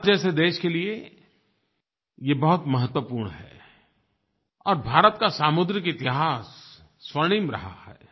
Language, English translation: Hindi, This is very important for a country like India, which has a golden coastal history